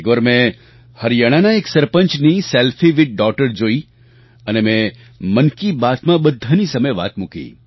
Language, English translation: Gujarati, Once, I saw a selfie of a sarpanch with a daughter and referred to the same in Mann Ki Baat